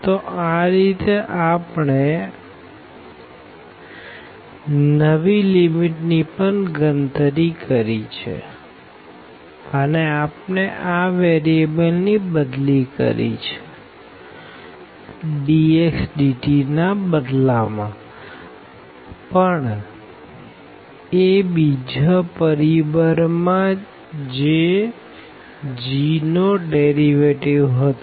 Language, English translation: Gujarati, So, in that way we have also computed these new limits and we have substituted the variable and instead of this dx dt has come, but within another factor which was in terms of the derivatives of this g